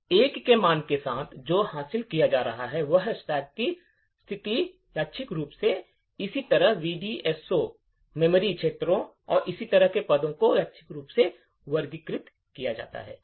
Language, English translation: Hindi, With a value of 1, what is achieved is that, the position of the stack is randomized, similarly the positions of the VDSO, shared memory regions and so on are randomized